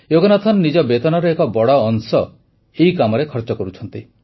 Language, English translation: Odia, Yoganathanji has been spending a big chunk of his salary towards this work